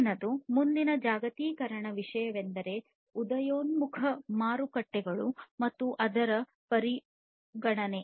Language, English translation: Kannada, The next one the next globalization issue is the emerging markets and its consideration